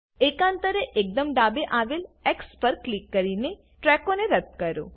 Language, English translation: Gujarati, Alternately, delete tracks by clicking on the X at the extreme left